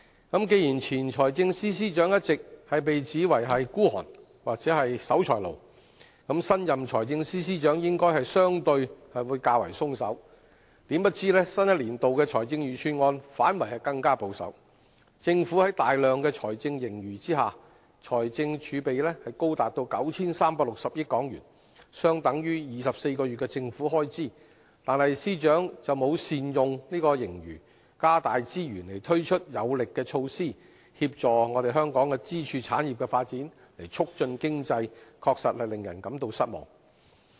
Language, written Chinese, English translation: Cantonese, 既然前財政司司長一直被指為吝嗇或是守財奴，那麼新任財政司司長應該相對會較為寬鬆，豈料新一年度財政預算案反而更保守，政府在大量財政盈餘下，財政儲備高達 9,360 億港元，相等於24個月的政府開支，但司長卻沒有善用盈餘，加大資源推出有力的措施協助香港支柱產業的發展，促進經濟，確實令人感到失望。, As the former Financial Secretary has always been criticized for being a miser the new Financial Secretary is expected to be more generous . But to our surprise the Budget announced this year is even more conservative . Although the Government has a huge fiscal surplus and our fiscal reserves stand at HK936 billion which are equivalent to 24 months of government expenditure the Financial Secretary has failed to put the surplus to optimal use